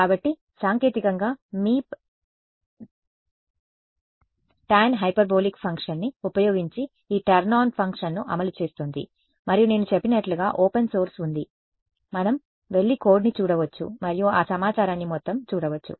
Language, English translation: Telugu, So, technically Meep is implementing this turn on function using tan hyperbolic function and as I mentioned there is a open source we can go and look at the code and see all that information